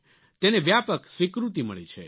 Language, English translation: Gujarati, This has gained wide acceptance